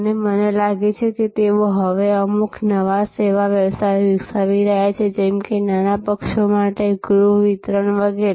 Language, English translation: Gujarati, And I think, they are now developing certain new other service businesses like home delivery of for smaller parties, etc